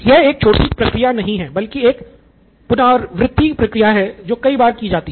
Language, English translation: Hindi, It is not a one short process but it is an iterative process and happens many times over